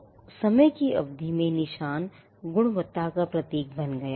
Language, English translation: Hindi, So, the mark over the period of time became symbols of quality